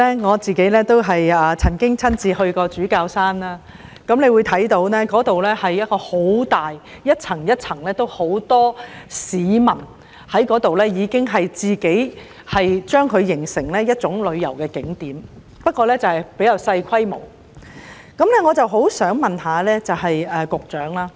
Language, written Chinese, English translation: Cantonese, 我也曾親身前往主教山配水庫，那個地方很大、一層一層的，很多市民聚集該處，形成一個旅遊景點——不過比較小規模，我相信這個景點是要跨局處理的。, I went to the service reservoir at Bishop Hill in person . The area is large and has several levels . Many people gathered there forming a popular spot for visiting but it is of a relatively small scale